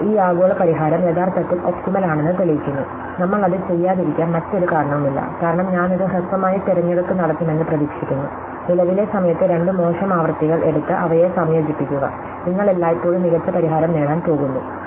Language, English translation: Malayalam, Now, we have to prove that this global solution is actually optimal and we have to do that, because there is no other reason is expect that by making a short sited choice, at the current time take the two worst frequencies and combine them, that you are always going to get the best solution